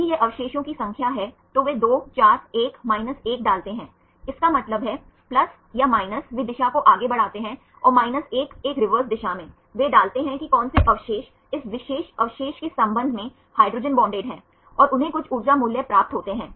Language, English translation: Hindi, If it is the residues number they put 2 4 1 1; that means, plus or minus they forward the direction and the 1 in a reverse direction, they put which residues are hydrogen bonded with respect to this particular residue right and they get some energy values also this what they get the energy values